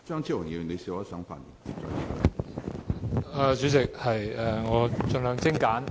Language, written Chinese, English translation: Cantonese, 主席，我的發言會盡量精簡。, Chairman I will make my speech as succinct as possible